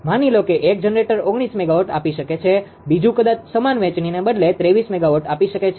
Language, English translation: Gujarati, Suppose one generator can give nineteen megawatt another may be 23 megawatt like this instead of equivalent sharing